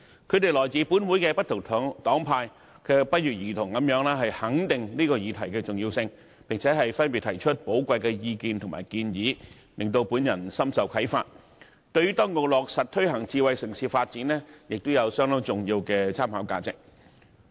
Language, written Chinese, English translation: Cantonese, 他們來自本會不同黨派，卻不約而同地肯定這項議案的重要性，並且分別提出寶貴意見和建議，讓我深受啟發，對於當局落實推行智慧城市發展亦有相當重要的參考價值。, Despite their differences in political affiliation they all recognize the importance of this motion putting forward valuable views and suggestions that I find most inspiring and which will serve as important reference for the authorities in the implementation of smart city development